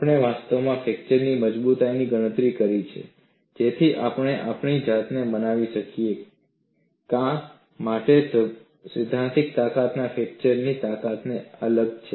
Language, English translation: Gujarati, We have actually calculated the fracture strength to convince our self why the theoretical strength is different from the fracture strength